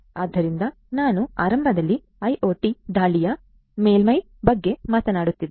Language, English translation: Kannada, So, I was talking at the outset about the IIoT attack surface